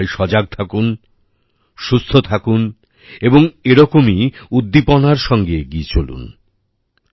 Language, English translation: Bengali, All of you stay alert, stay healthy and keep moving forward with similar positive energy